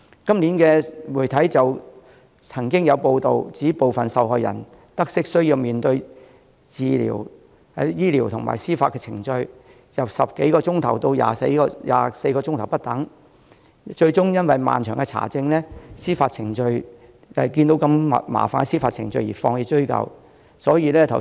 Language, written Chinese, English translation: Cantonese, 今年就曾經有媒體報道，指部分受害人在得悉需要面對過程由10多小時至24小時不等的醫療及司法程序後，最終因為需經過漫長的查證過程、麻煩的司法程序而放棄追究。, This year there have been media reports that some victims ultimately gave up pursing their cases after they learnt about the need to go through medical and legal procedures lasting between 10 and 24 hours